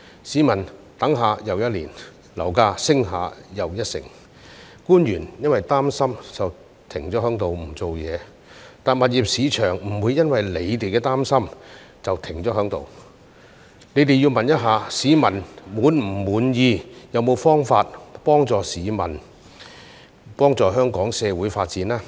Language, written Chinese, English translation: Cantonese, 市民等了一年又一年，樓價升了一成又一成，官員因為擔心便停在那裏不做事，但物業市場不會因為他們的擔心便停在那裏，他們要問市民是否滿意，是否有方法幫助市民和香港社會發展呢？, And officials have been standing still and doing nothing because they are worried but the property market will not stand still just because they are worried . They have to ask the public if they are satisfied and if there is a way to help them and the Hong Kong society develop . As the saying goes Wishing there would be tens of thousands of spacious houses